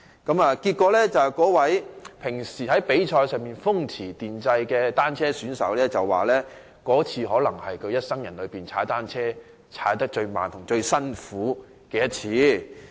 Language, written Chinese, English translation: Cantonese, 結果，那位平時在比賽時風馳電掣的單車選手表示，那次可能是他一生人踏單車最慢和最辛苦的一次。, Eventually the cycling athlete who used to compete at lightning speed described the ride as probably the slowest and most back - breaking biking experience in his life